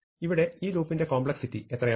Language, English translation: Malayalam, So, now what is the complexity of this loop